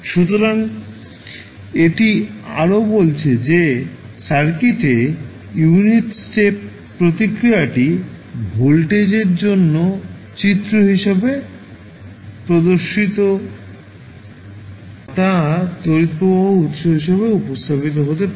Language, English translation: Bengali, So, that also says that in the circuit the unit stop response can be represented for voltage as well as current source as shown in the figure